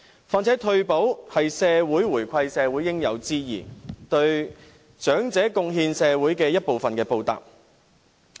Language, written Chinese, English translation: Cantonese, 況且，退休保障是社會回饋長者的應有之義，是對長者貢獻社會的一份報答。, Besides it is a social obligation to reward elderly people with retirement protection in return for their contribution to society